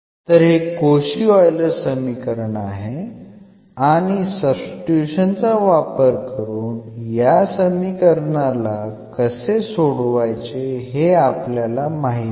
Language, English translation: Marathi, So, this is the Cauchy Euler equation which we know that how to solve by this substitution